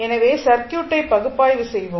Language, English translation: Tamil, And find out the response of the circuit